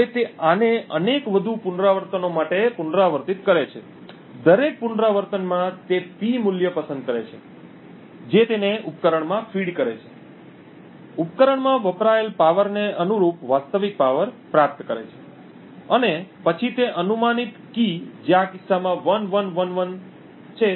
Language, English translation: Gujarati, Now he repeats this for several more iterations, in each iteration he selects a P value feeds it to the device, gets a corresponding actual power consumed by the device and then for that guessed key which in this case is 1111 computes C and obtains the hypothetical power consumed based on the hamming weight in this particular case